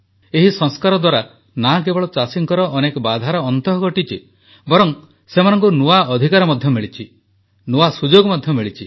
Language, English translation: Odia, These reforms have not only served to unshackle our farmers but also given them new rights and opportunities